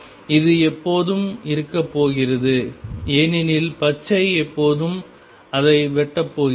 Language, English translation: Tamil, This is always going to be there because the green curve x tangent x passes through 0 and the circle is always going to cut it